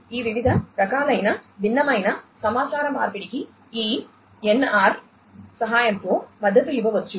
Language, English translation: Telugu, So, all these different types of heterogeneous communication could be supported with the help of this NR